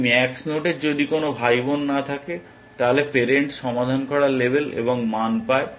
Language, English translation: Bengali, For a max node if there are no siblings then, the parent gets label solved and gets the value